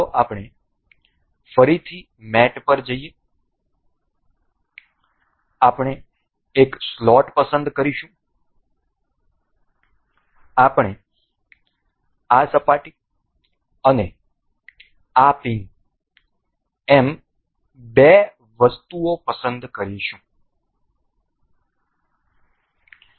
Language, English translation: Gujarati, Let us just go to mate again we will select slot, we will select two items say this surface and this pin